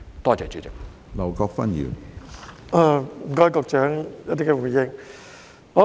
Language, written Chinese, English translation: Cantonese, 多謝局長就主體質詢所作的回應。, I thank the Secretary for his response to the main question